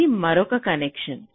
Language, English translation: Telugu, so this is another convention